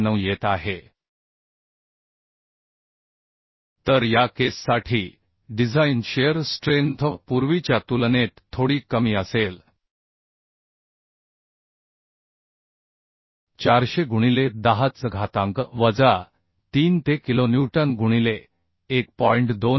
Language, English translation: Marathi, 9 So design shear strength for this case will be little less than the earlier one that is 400 into 10 to the power minus 3 for making it kilonewton into 1